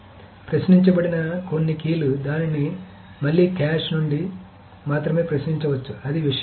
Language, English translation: Telugu, So certain keys if it has been queried, it can be again queried just from the cache